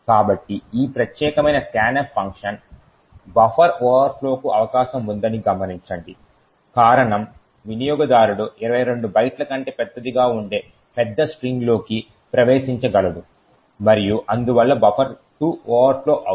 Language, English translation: Telugu, So, note that this particular scanf function is a potential for a buffer overflow the reason is that the user could enter a large string which is much larger than 22 bytes and therefore buffer 2 can overflow